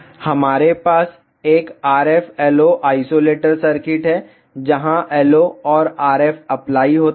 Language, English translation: Hindi, We have a RF LO isolator circuit where LO and RF are applied